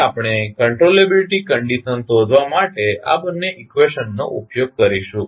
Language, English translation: Gujarati, Now, we will use these two equations to find out the controllability condition